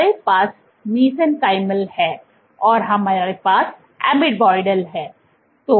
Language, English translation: Hindi, So, we have mesenchymal, we had amoeboidal